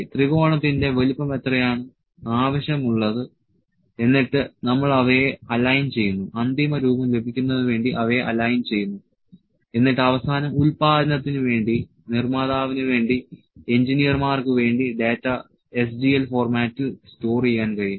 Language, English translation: Malayalam, What size of a triangle to be required, then we align them, align them to get the final shape and finally, the data can be stored in the SGL format for the production, for the manufacturer, for the engineers